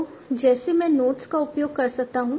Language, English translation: Hindi, So like I can use the nodes